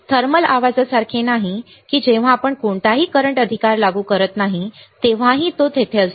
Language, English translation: Marathi, So, it is not like thermal noise that it is there even when we do not apply any current right